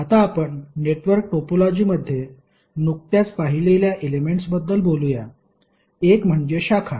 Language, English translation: Marathi, Now let us talk about the elements which we just saw in the network topology, one is branch